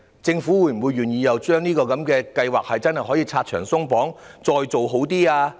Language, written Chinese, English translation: Cantonese, 政府是否願意為這項計劃拆牆鬆綁，加以完善？, Is the Government willing to remove the barriers and restrictions to improve this Programme?